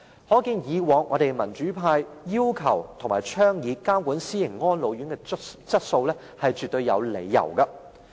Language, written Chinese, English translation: Cantonese, 可見，民主派以往要求及倡議監管私營安老院的質素，是絕對有理由的。, It is thus well - justified that the democratic camp has requested or called for monitoring the quality of private elderly care homes